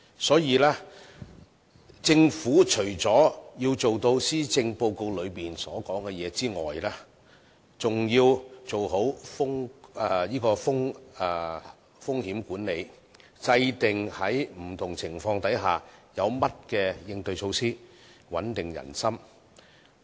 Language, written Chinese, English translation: Cantonese, 所以，政府除要做到施政報告中所說的內容外，更要做好風險管理，制訂在不同情況下有不同的應對措施，穩定人心。, Therefore apart from implementing the initiatives in the Policy Address the Government should also put in place different risk management measures to cope with different scenarios so as to maintain public confidence . After all 98 % of the enterprises in Hong Kong are SMEs